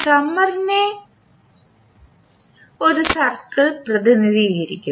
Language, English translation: Malayalam, So the summer is represented by a circle